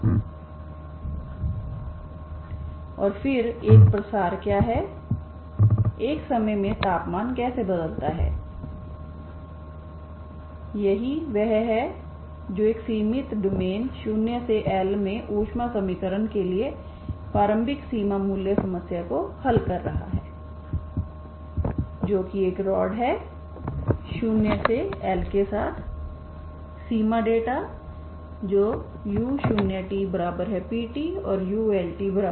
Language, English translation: Hindi, And then what is a diffusion what is the how the temperature varies over a time so that is what that is exactly solving the boundary value initial boundary value problem for the heat equation in a finite domain 0 to L that is a rod, okay 0 to L with the boundary data that is u at 0, t is P of t u at L, t is Q of t